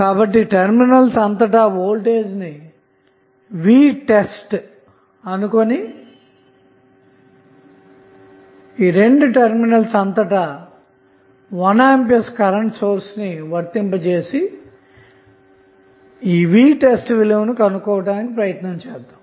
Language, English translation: Telugu, So, let us say the voltage across terminal is V test and we apply 1 ampere current source across these 2 terminals and find out the value of V test